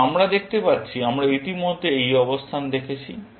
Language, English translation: Bengali, Now, we can see that, we have already seen this position